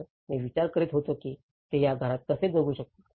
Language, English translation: Marathi, So, I was wondering how could they able to live in these houses